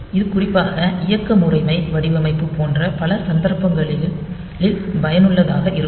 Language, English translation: Tamil, So, this is useful in many cases like particularly for operating system design